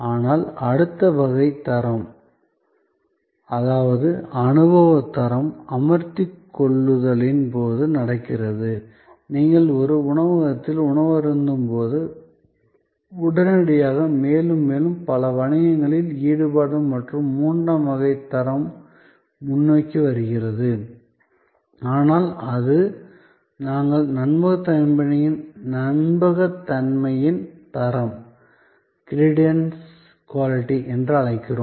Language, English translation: Tamil, But, the next type of quality, which is experience quality happens during the process of engagement, like when you are having a meal at a restaurant and after, immediately after and more and more we have a third type of quality coming forward in many business engagements and that is, but we call credence quality